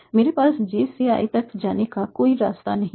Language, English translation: Hindi, There is no way I can have a path from J to Y